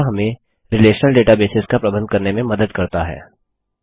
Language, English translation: Hindi, Now this helps us to manage relational databases